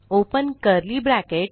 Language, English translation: Marathi, And Open curly bracket